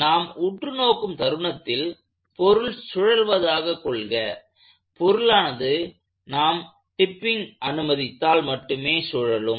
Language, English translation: Tamil, So, if I let the body rotate at the instant I am looking at, the body will only rotate if I allowed tipping